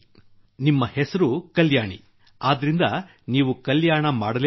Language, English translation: Kannada, Well, your name is Kalyani, so you have to look after welfare